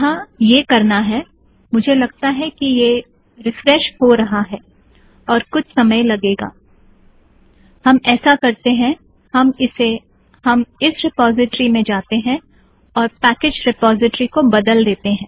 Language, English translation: Hindi, Here we have to I think this is refreshing, it takes a little while what we will do is, we have to go to this repository, change package repository